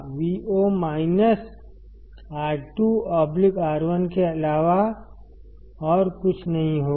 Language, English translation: Hindi, Vo will be nothing but minus R 2 by R 1